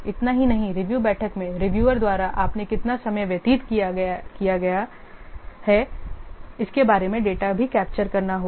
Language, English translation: Hindi, Not only that the data about the time spent, how much time you have spent by the reviewers in the review meeting that also have to be captured